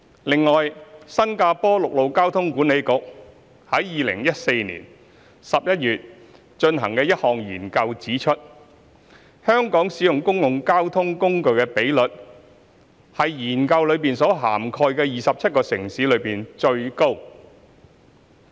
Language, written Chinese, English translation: Cantonese, 此外，新加坡陸路交通管理局於2014年11月進行的一項研究指出，香港使用公共交通工具的比率為研究所涵蓋的27個城市中最高。, Moreover according to a study conducted by the Land Transport Authority of Singapore in November 2014 the public transport usage rate in Hong Kong was the highest among 27 major cities covered by the study